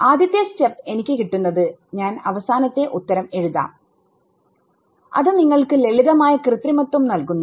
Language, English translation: Malayalam, So, the first step that I get is 1 I will just write the final answer which simple manipulation gives you